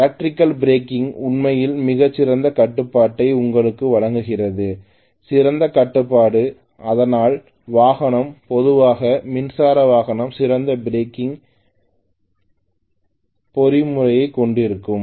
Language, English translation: Tamil, Electrical braking gives you actually very fine control extremely, fine control that is why the vehicle is generally electric vehicles will have excellent braking mechanism, if it is design properly ofcourse right